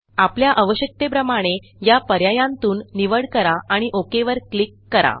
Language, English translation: Marathi, Choose from these options as per your requirement and then click on the OK button